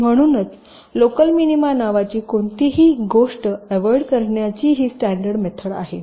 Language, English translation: Marathi, so this is a very standard method of trying to avoid something called local minima